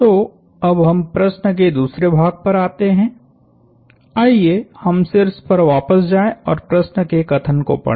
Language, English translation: Hindi, So, now, let us come to the second part of the question, let us go back to the top and read the problem statement